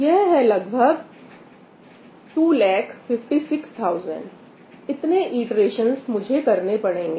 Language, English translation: Hindi, So, that is about 256, 256000, around 256000, right that is the number of iterations I will have to do